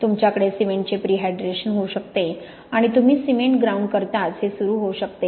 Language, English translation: Marathi, You can have prehydration of cement and this may start already as soon as you ground the cement